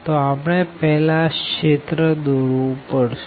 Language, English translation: Gujarati, So, we have to first draw the region as usual